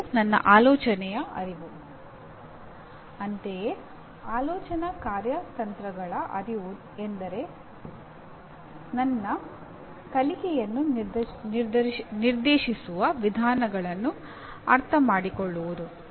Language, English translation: Kannada, Similarly, awareness of thinking strategies that is understanding approaches to directing my learning